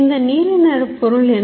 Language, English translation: Tamil, What is this blue thing